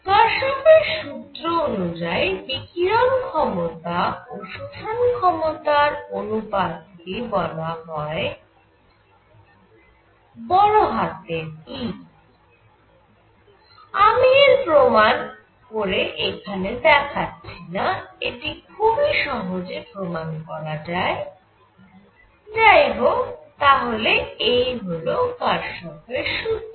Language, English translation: Bengali, Kirchhoff’s law that says that emissive power of anybody divided by its absorption power is equal to E, I am not proving it, this can be argued very easily, but this is what it is